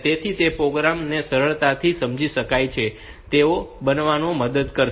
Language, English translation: Gujarati, So, that will help in making the program easily understandable